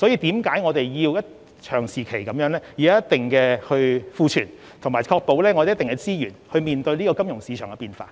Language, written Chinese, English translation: Cantonese, 正因如此，我們必須長期維持一定的儲備，以及確保有一定的資源面對金融市場的變化。, This is exactly the reason why we must maintain the reserves at a certain level in the long run and ensure that certain resources are available for responding to changes in the financial market